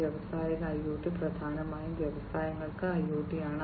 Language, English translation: Malayalam, Industrial IoT is essentially IoT for industries